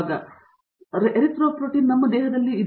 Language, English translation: Kannada, So, Erythropoietin is what we have it our body